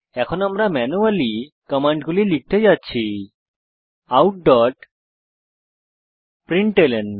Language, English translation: Bengali, For now we are going to type the command manually Out.println